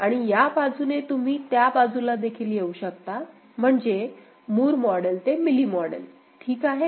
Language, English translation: Marathi, And you can come from this side to that side also, I mean, Moore model to Mealy model also ok